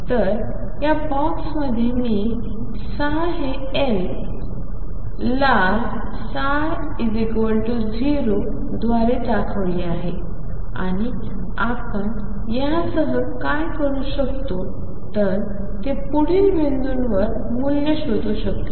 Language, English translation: Marathi, So, in this box, I have let me show psi by red psi equals 0 and some slope what we can do with this is find the value at the next point